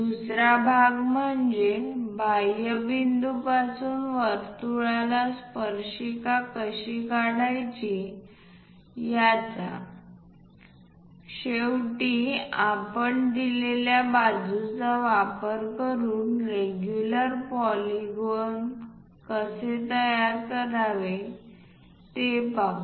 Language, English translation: Marathi, The second part of the thing how to draw tangent to a circle from an exterior point; finally, we will cover how to construct a regular polygon of a given side